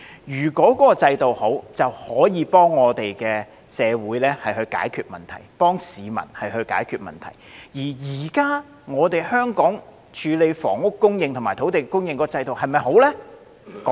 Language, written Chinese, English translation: Cantonese, 如果制度良好，就可以幫助社會及市民解決問題；而現時香港處理房屋供應和土地供應的制度是否良好呢？, A good system helps resolve societys and peoples problems . Is Hong Kongs current system of handling housing supply and land supply a good one then?